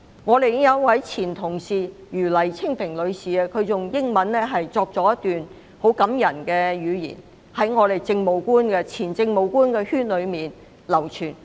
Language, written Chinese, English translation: Cantonese, 我們的前同事余黎青萍女士以英文寫出一段很感人的文字，並已在前政務官圈內流傳。, A touching note penned by our former colleague Mrs Helen YU in English has been circulated among former Administrative Officers